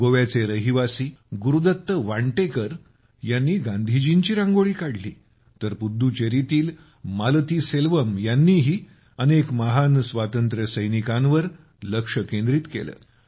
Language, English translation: Marathi, Gurudutt Vantekar, a resident of Goa, made a Rangoli on Gandhiji, while Malathiselvam ji of Puducherry also focused on many great freedom fighters